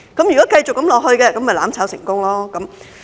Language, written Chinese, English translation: Cantonese, 如果繼續這樣下去，就"攬炒"成功。, If this continues mutual destruction will be successful